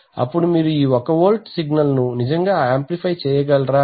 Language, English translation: Telugu, Now the point is that you could actually amplify this 1 volt signal